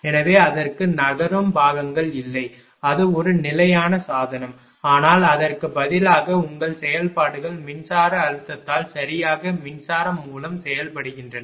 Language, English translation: Tamil, So, it has no moving parts it is a static device, but instead your functions by being acted upon electric by electric stress right